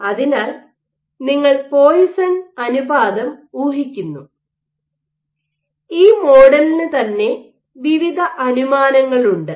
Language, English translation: Malayalam, So, you assume the Poisson’s ratio and this model itself has various assumptions built into it